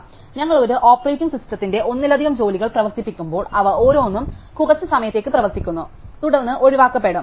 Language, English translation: Malayalam, So, when we run multiple tasks on an operating system each of them runs for a little bit of time, and then is opt out